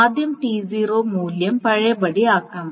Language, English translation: Malayalam, So T0 needs to be redone